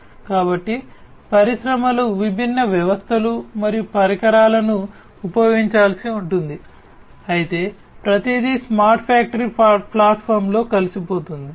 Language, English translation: Telugu, So, industries will need to use diverse systems and equipment but everything will be integrated on the smart factory platform